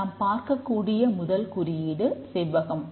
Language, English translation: Tamil, The first symbol we will look at is the rectangle